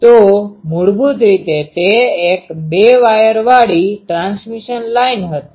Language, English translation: Gujarati, So, basically it was a two wire transmission line